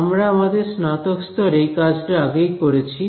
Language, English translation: Bengali, So, we have all done this in undergraduate right